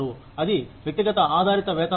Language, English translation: Telugu, That is the individual based pay system